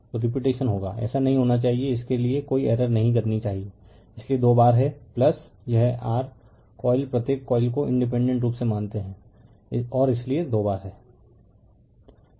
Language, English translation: Hindi, So, repetition will be there right this should not this one should not make any error for this that is why twice it is there you have plus it your coil considering each coil independently right and that that is why twice it is there